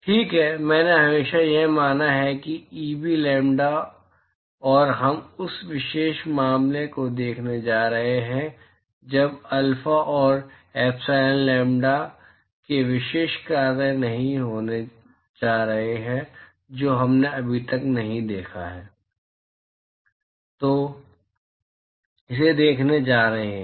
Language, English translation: Hindi, Right I have always assumed that Eb lambda, and we are going to look at that particular case what happens when alpha and epsilon are not going to be a special functions of lambda that we have not seen yet, we are going to see that